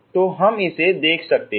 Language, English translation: Hindi, So we can see that